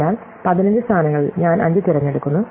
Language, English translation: Malayalam, So, among 15 positions I choose 5